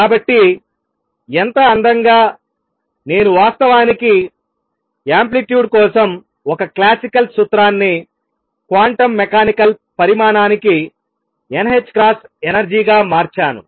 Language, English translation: Telugu, So, notice how beautifully, I have actually converted a classical formula for amplitude to a quantum mechanical quantity n h cross energy